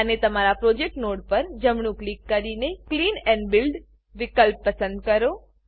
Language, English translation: Gujarati, And right click on your project node and select Clean and Build option